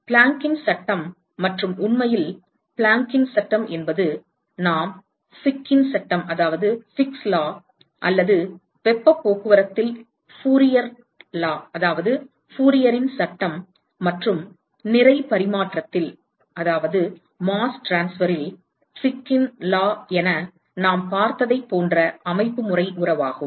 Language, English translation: Tamil, Planck’s law and, in fact, Planck’s law is the constitutive relationship similar to what we saw as we Fick's law or Fourier’s law in heat transport and Fick's law in mass transfer